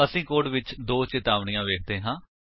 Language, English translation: Punjabi, We see 2 warnings in the code